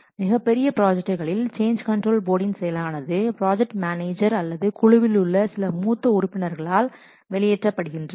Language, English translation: Tamil, Except for very large projects, the functions of the change control board are normally discharged by the project manager or by some senior member of the development team